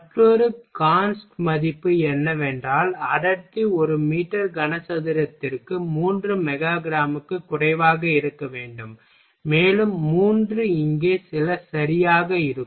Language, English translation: Tamil, Then another const value is we got density should be lesser than 3 mega gram per meter cube and three will be some over here ok